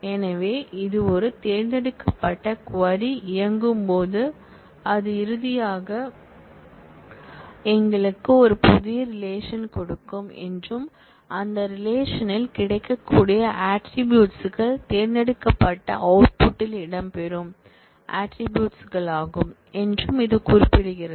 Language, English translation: Tamil, So, this specifies that, when a select query runs it will finally give us a new relation and in that relation, the attributes that will be available are the attributes that feature in the select list